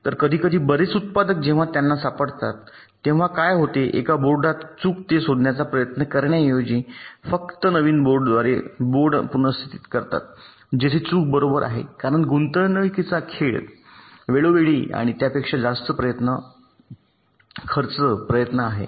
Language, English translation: Marathi, many of the manufacturers, when they find some fault in a board, they simply replace the board by a new board instead of trying to find out where the fault is right, because the cost involved is pretty higher cost in terms to time and effort